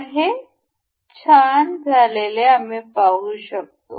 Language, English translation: Marathi, So, now it is nice and good, and we can see this